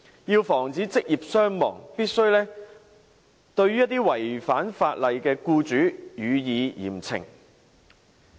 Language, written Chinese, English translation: Cantonese, 要防止職業傷亡，必須對於違反法例的僱主予以嚴懲。, In order to prevent occupational injuries and deaths law - breaking employers must be penalized severely